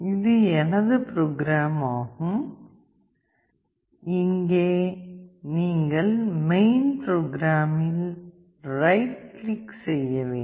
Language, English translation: Tamil, This is my program you have to right click here on main program